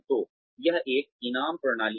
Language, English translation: Hindi, So, that is a reward system